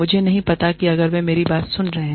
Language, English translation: Hindi, I do not know, if they are listening to me